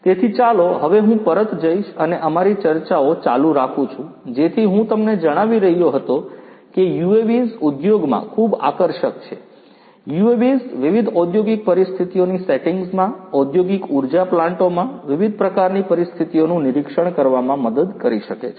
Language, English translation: Gujarati, So, let me now go back and continue with our discussions so I was telling you that UAVs are very attractive in the industry; UAVs could help in you know monitoring the conditions, different types of conditions in the industrial power plants, in the different industrial settings